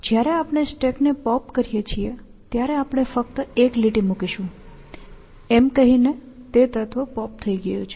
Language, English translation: Gujarati, When we pop stack, the stack we will just put a line across, to say, that element has been popped